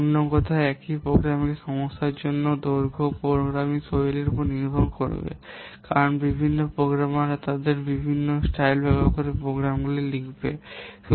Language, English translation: Bengali, In other words, for the same programming problem, the length would depend on the programming style because different programmers they will write down the programs using different styles